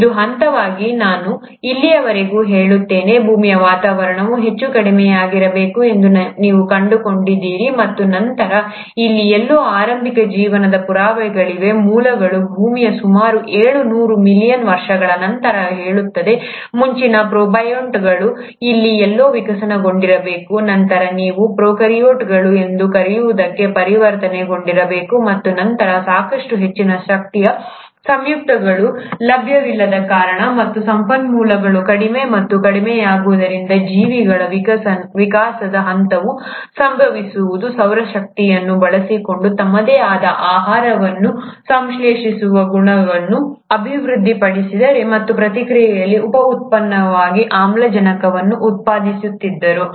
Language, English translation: Kannada, This was the phase, I would say all the way up to here, you find that the earth’s atmosphere must have been highly reducing, and then, you have evidences of early life, somewhere here, which says about seven hundred million years after the earth’s origin, the earliest protobionts must have evolved somewhere here, later transitioned into what you call as the prokaryotes and then due to lack of sufficient high energy compounds available and the resources becoming lesser and lesser, a point in evolution would have happened where the organisms would have developed a property of synthesizing their own food, using solar energy and in the process, went on generating oxygen as a by product